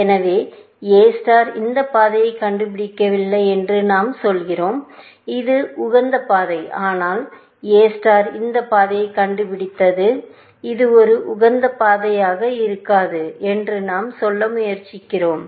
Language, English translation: Tamil, So, what we are saying that A star has not found this path, which is the optimal path, but A star has found this path, which may not be an optimal path; we are trying to say